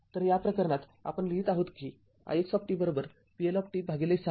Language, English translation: Marathi, In this case, we are writing I x t is equal to vLt upon 6